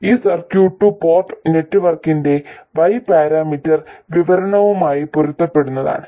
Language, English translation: Malayalam, This circuit is what corresponds to the Y parameter description of a 2 port network